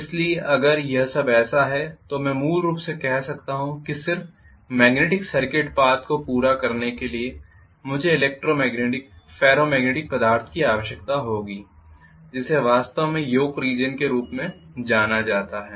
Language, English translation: Hindi, So if it is like this now I can say basically just to complete the magnetic circuit path I will need electromagnetic, ferromagnetic substance which is actually known as the Yoke region